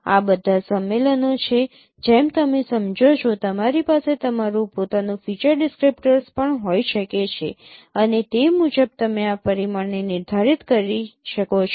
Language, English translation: Gujarati, These are all conventions as you understand you can have your own feature descriptor also and accordingly you can determine this dimension